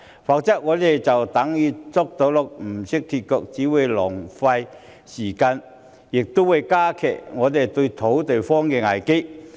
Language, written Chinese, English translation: Cantonese, 否則，我們就等於"捉到鹿不懂脫角"，只會浪費時間，加劇土地荒的危機。, Otherwise it would seem that we do not know how to capitalize on the opportunities . It is simply a waste of time which would lead to the aggravation of the land shortage crisis